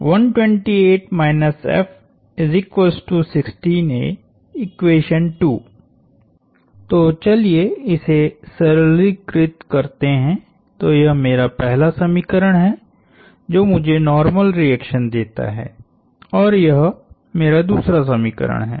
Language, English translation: Hindi, So, let us simplify this, so this is my first equation that gives me the normal reaction, this is my second equation